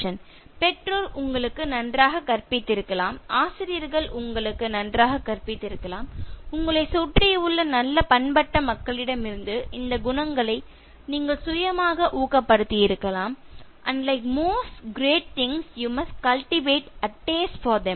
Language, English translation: Tamil, ” May be the parents taught you well, may be the teachers taught you well, maybe your self imbibed these qualities from good cultured people around you, “and like most great things you must cultivate a taste for them